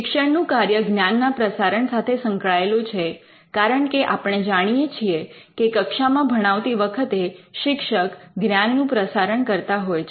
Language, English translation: Gujarati, The teaching function is linked to dissemination of knowledge, because we know that in teaching what a teacher does in a class is disseminate the knowledge